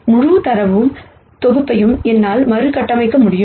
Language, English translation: Tamil, I will be able to reconstruct the whole data set